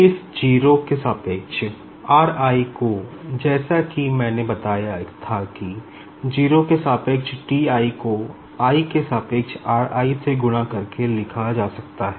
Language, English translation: Hindi, Now, this r i with respect to 0 as I told can be written as T i with respect to 0 multiplied by r i with respect to i